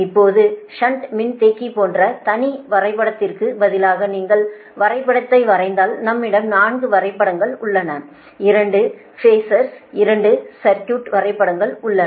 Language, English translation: Tamil, right now, if you draw the diagram, instead of separate diagram, like shunt capacitor, we had four diagrams, two phasor diagram, two circuit diagrams